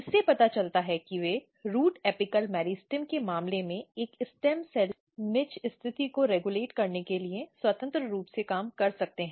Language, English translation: Hindi, This suggests that they might be working independently for regulating a stem cell niche positioning in case of root apical meristem ok